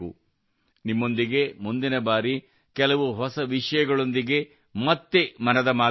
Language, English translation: Kannada, Next time we will again have 'Mann Ki Baat', shall meet with some new topics